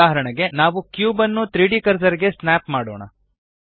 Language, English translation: Kannada, For example, let us snap the cube to the 3D cursor